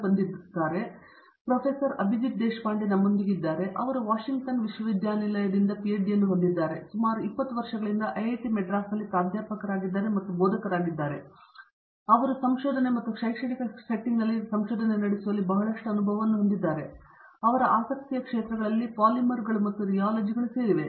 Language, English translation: Kannada, Abhijit Deshpande, he has a PhD from the University of Washington, he is been a professor and a faculty here at IIT Madras for 20 years now, so he has a lot of experience in teaching and carrying out research in an academic setting, his areas of interest